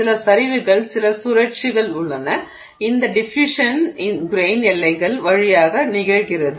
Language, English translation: Tamil, There is some sliding, there is some rotation, this you know diffusion occurring through the grain boundaries